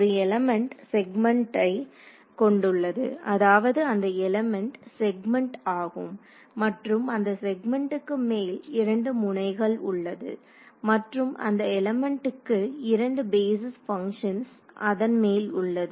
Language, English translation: Tamil, An element consists of the segment and the segment I mean element is a segment and that segment has 2 nodes on it and the element also has two basis functions defined on it